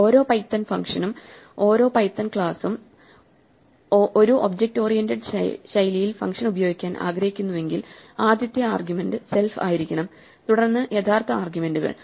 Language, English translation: Malayalam, It just keep this in mind every python function, every python class, if you want to use a function in the object oriented style, the first argument must necessarily be self and then the real arguments